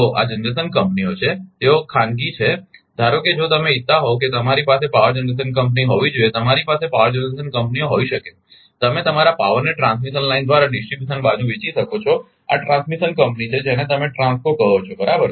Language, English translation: Gujarati, So, this is generation companies they are private, suppose if you want that I should have a power ah generation company, you may have power generation companies, you can sell your power through transmission line to distribution side, this is transmission company you will call TRANSCO right